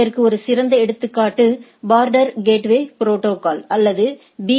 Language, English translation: Tamil, The example one best example is the border gateway protocol or BGP